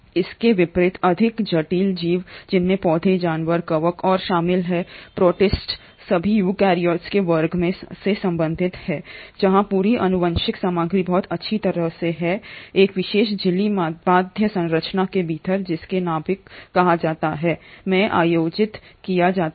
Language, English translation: Hindi, In contrast the more complex organism which involves the plants, the animals, the fungi and the protists, all belong to the class of eukaryotes where the entire genetic material is very well organised within a special membrane bound structure called as the nucleus